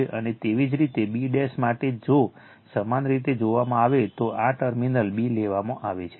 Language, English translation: Gujarati, And similarly, for b dash if you look, this terminal is taken b